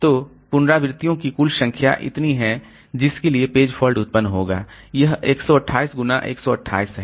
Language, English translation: Hindi, So total number of iterations is for which the page fault will be generated is this 128 into 128